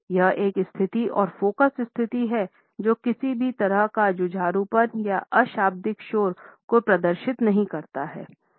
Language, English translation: Hindi, This is a stable and focus position it does not show any belligerence it also does not showcase any nonverbal noise